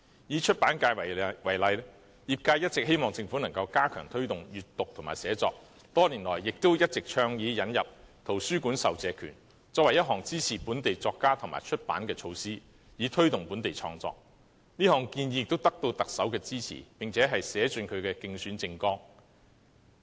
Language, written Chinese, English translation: Cantonese, 以出版界為例，業界一直希望政府能加強推動閱讀和寫作，多年來也一直倡議引入圖書館授借權，作為支持本地作家及出版的措施，以推動本地創作，這項建議也得到特首支持，並寫進其競選政綱。, Take the publication sector as an example . The sector has always hoped that the Government can enhance the promotion of reading and writing . Over the years it has advocated the introduction of public lending right in libraries as a measure for supporting local writers and publishers with a view to promoting local creative works